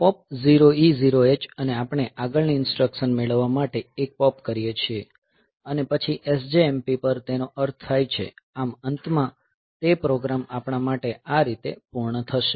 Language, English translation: Gujarati, So, pop 0 E 0 H we do a pop to get the next instruction, and then SJMP over meaning that, so we will that is the end the program has been completed